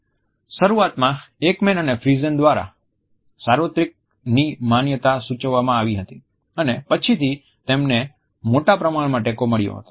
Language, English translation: Gujarati, Notions of universality were initially suggested by Ekman and Friesen and later on there had been a large critical support for them